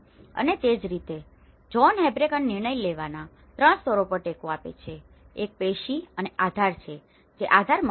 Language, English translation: Gujarati, And similarly, John Habraken supports on 3 levels of decision making; one is the tissue and the support which is the base building